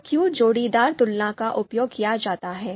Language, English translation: Hindi, So why pairwise comparisons are used